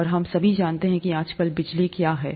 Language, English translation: Hindi, And we all know what electricity is nowadays